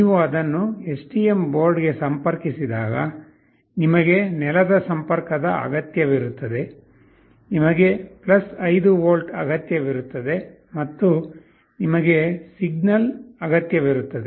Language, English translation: Kannada, When you connect it to the STM board you require the ground connection, you require +5V and you require a signal